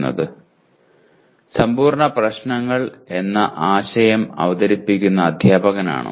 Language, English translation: Malayalam, Is the teacher who introduces the concept of NP complete problems